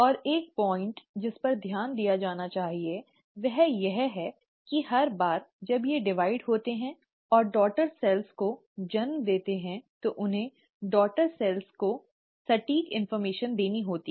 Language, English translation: Hindi, And one point to be noted, is that every time they divide and give rise to the daughter cell, they have to pass on the exact information to the daughter cell